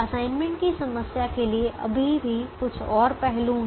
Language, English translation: Hindi, there are still a couple of more aspects to the assignment problem